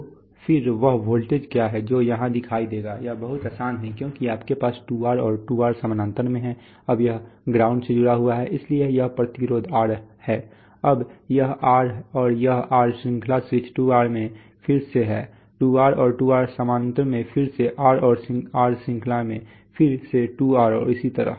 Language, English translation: Hindi, So then what is the voltage that will appear here, that is very simple because you have 2R and 2R in parallel now this connected to ground, so therefore this resistance is R, now this that R and this R is in series switch 2R again to 2R and 2R in parallel again R and R in series, again 2R and so on